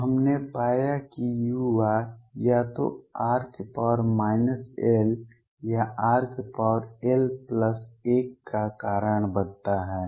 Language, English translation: Hindi, So, what we found is that u r causes either r raise to minus l or r raise to l plus 1